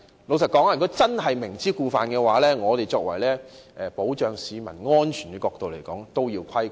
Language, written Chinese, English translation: Cantonese, 老實說，如果真是明知故犯，從保障市民安全的角度而言必定要規管。, Frankly if someone has knowingly broken the law they must be regulated to safeguard public safety